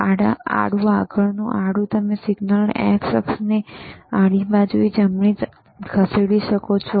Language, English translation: Gujarati, , hHorizontal next one, horizontal you can move the signal in a horizontal of the x axis, right